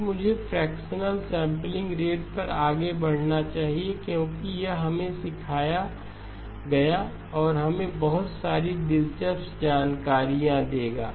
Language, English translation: Hindi, Then let me proceed on to the fractional sampling rate because this will also teach us and give us a lot of interesting insights